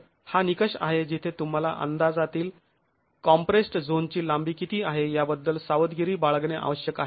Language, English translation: Marathi, So, this is a criterion where one has to be careful about what is the length of the compressed zone in your estimate